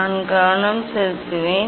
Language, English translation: Tamil, I will focused